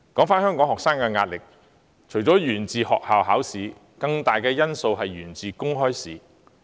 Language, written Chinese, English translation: Cantonese, 香港學生的壓力除了源自學校考試，更大的因素是源於公開試。, Apart from school examinations open examinations are another source of pressure on students